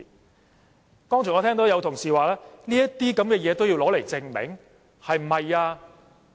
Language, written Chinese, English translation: Cantonese, 我剛才聽到有同事問，是否這些東西也要證明？, I heard a Member asked earlier if it is really necessary for us to prove this sort of facts